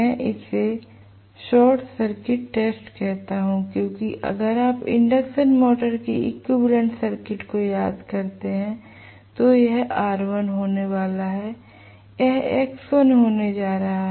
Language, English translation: Hindi, I call this as short circuit test because if you recall the equivalent circuit of the induction motor this is going to be r1 this is going to be x1